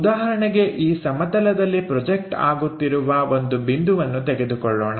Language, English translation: Kannada, For example, let us consider a point which is making a projection on the plane